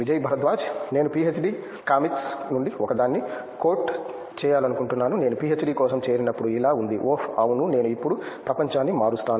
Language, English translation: Telugu, I would like to quote one of one from PhD comics, when I joined for PhD it was like – Oh yeah I will change the world now